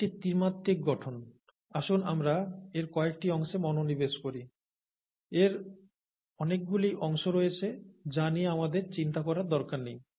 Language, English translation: Bengali, So this is the three dimensional view, let us just focus on some parts of it; there are many parts to it which let us not worry about